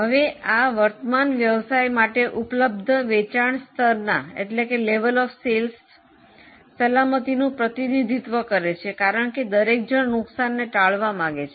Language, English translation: Gujarati, Now this represents the safety available to business at current level of sales because everybody wants to avoid losses